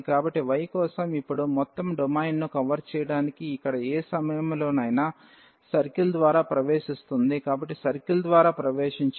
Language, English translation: Telugu, So, for y it is now entering through the circle at any point here to cover the whole domain; so, entering through the circle